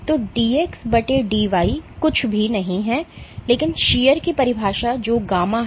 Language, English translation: Hindi, So, dx by dy is nothing, but the definition of shear which is gamma